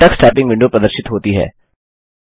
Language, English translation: Hindi, The Tux Typing window appears